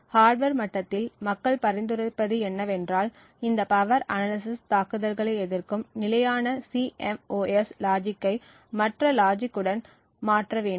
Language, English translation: Tamil, At the hardware level what people have suggested is that the standard CMOS logic be replaced with other logic which are resistant to these power analysis attacks